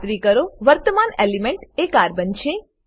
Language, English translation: Gujarati, Ensure that current element is Carbon